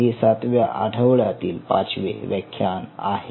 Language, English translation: Marathi, so this is a our lecture five week seven